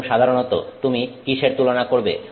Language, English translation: Bengali, And typically what are you comparing